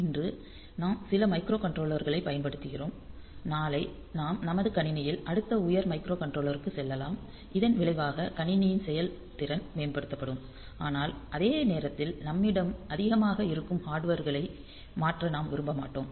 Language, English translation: Tamil, So, tomorrow we can we can we go to the next higher microcontroller in my system as a result the system performance will be enhanced and, but at the same time I do not want to change the hardware that we have too much